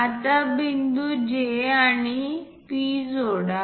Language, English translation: Marathi, Now, join point J and P